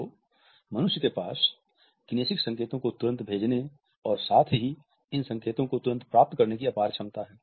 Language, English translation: Hindi, So, human beings have an immense capacity to send as well as to receive kinesic signals immediately